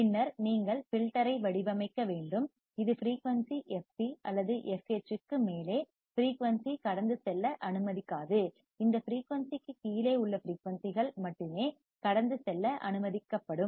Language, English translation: Tamil, And then you have to design the filter such that above the frequency fc or fh, it will not allow the frequency to pass; only frequencies below this frequency will be allowed to pass